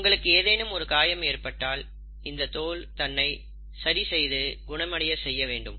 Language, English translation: Tamil, Now if you have any kind of wounds taking place, the skin has to heal itself and it has to repair itself